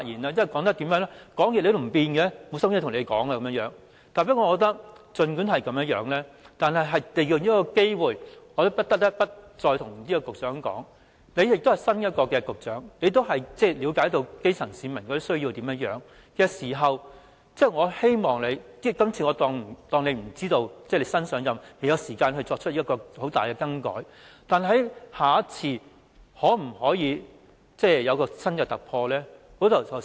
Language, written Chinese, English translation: Cantonese, 儘管如此，我還是想利用這機會，再告訴局長，他是新任局長，亦了解基層市民的需要，我希望他......我假設他是新任局長，所以不知道或未有時間作出很重大的更改，但在下次，他可否作出新突破？, Nevertheless I still wish to take this opportunity to tell the Secretary the new Secretary who understands the needs of the grass - roots people that I hope he As he is new to the Government I would assume that he is not yet aware of the need to introduce major changes to the system or does not have sufficient time to do so . But can he make a breakthrough during the next adjustment exercise?